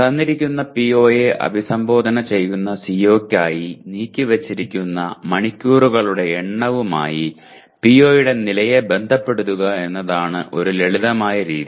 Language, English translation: Malayalam, One simple method is to relate the level of PO with the number of hours devoted to the COs which address the given PO